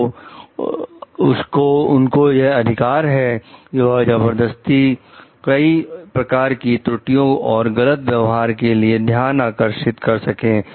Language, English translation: Hindi, So, they have a right to force attention of the many types of errors and misconduct